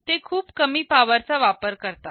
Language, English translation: Marathi, They need to consume very low power